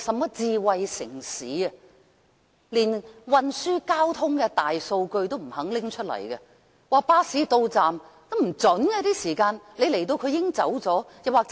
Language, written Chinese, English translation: Cantonese, 現時連運輸交通的大數據也不願意提供，巴士到站通知的時間是不準確的。, The Government is not even willing provide the Big Data in transport and traffic and the expected arrival times of buses are never accurate